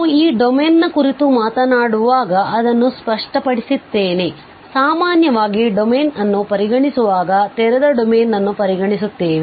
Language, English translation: Kannada, So, let me just clear it out when we are talking about this domain, which is open domain usually we consider whenever we are considering a domain